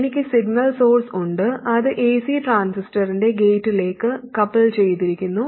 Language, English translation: Malayalam, It's AC coupled to the gate of the transistor